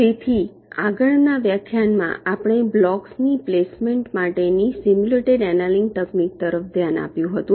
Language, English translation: Gujarati, so now, last lecture we looked at the simulated annealing technique for placement of the blocks